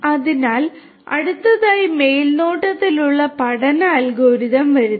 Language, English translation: Malayalam, So, next comes the supervised learning algorithm